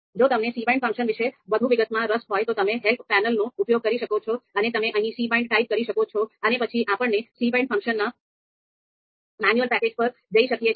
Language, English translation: Gujarati, So if you are interested in more details about ‘cbind’ function, again you can use this you know help panel and you can type here cbind and then we will get the help page here, the manual page of ‘cbind’ function